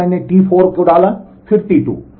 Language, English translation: Hindi, Here I put T 4 then T 2